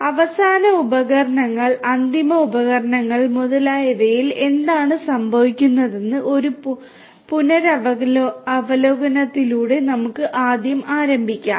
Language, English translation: Malayalam, So, first let us start with a recap of what goes on with the end instruments, the end devices and so on